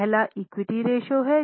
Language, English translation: Hindi, The first one is equity ratio